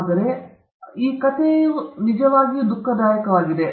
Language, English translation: Kannada, But the end of the story is really sad